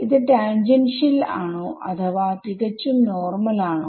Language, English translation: Malayalam, Is it tangential or purely normal